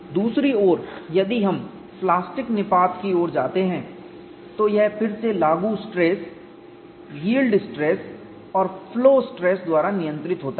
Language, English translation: Hindi, On the other hand, we go to plastic collapse, this is controlled by again applied stress, yield stress as well as flow stress